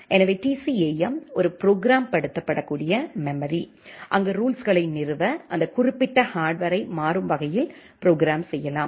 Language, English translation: Tamil, So, TCAM is a programmable memory, where you can dynamically program that particular hardware to install the rules